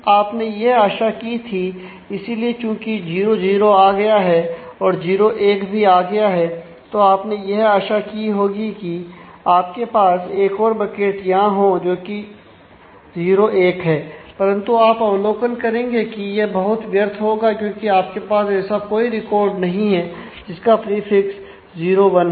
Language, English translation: Hindi, So, you would have expected that to have another bucket here which 0 1 is, but then you observe that actually that would be a quite a wasteful to do because you do not actually have a record which has a prefix 0 1